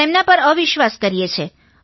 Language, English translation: Gujarati, We don't trust them